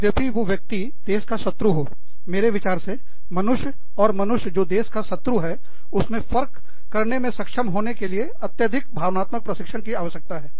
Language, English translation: Hindi, Even, if the person is an enemy of the country, i think, requires a tremendous amount of emotional training, to be able to differentiate, between a human being, and a human being, who could be dangerous for your country